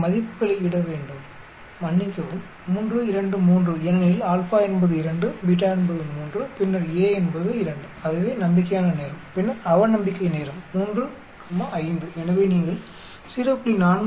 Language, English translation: Tamil, So, we need to put the values sorry, 3 comma 2 comma 3 because alpha is 2, beta is 3, then A is 2 that is the optimistic time, then the pessimistic time is 3, 5 so you get 0